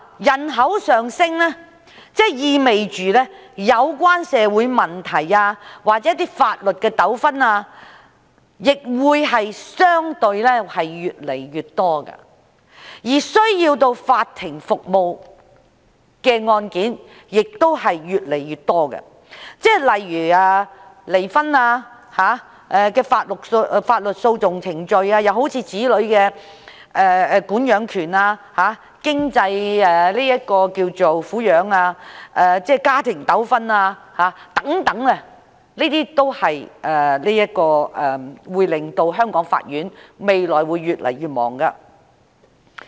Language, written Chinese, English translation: Cantonese, 人口上升意味着有關社會問題或法律的糾紛會相對地越來越多，而需要法庭服務的案件亦會越來越多，例如離婚的法律訴訟程序、子女管養權、經濟上的贍養安排、家庭糾紛等都會令香港法院未來越來越忙碌。, An increase in the population means that more and more social or legal disputes will arise accordingly and cases requiring court services will also be increasing such as legal proceedings for divorce child custody financial arrangements for alimony family disputes etc making the courts in Hong Kong busier in the future